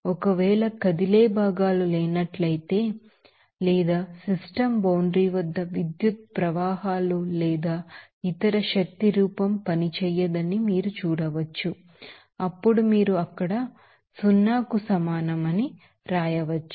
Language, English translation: Telugu, And if there are no moving parts or you can see that electrical currents or other form of energy at the system boundary will not work, then you can simply write that W will equal to be zero there